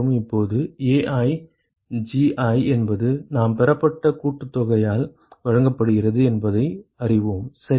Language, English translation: Tamil, Now, we know that AiGi is given by the summation that we just derived ok